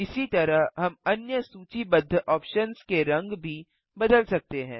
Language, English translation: Hindi, In this way, we can change the colour of the other listed options too